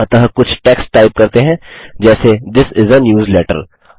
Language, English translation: Hindi, So let us type some text like This is a newsletter